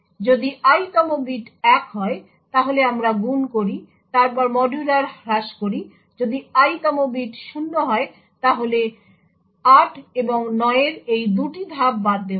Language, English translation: Bengali, If ith is 1, then we do multiplication followed by modular reduction, if the ith bit is 0 then these 2 steps in 8 and 9 are skipped